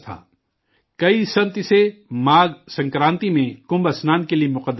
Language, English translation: Urdu, Many saints consider it a holy place for Kumbh Snan on Magh Sankranti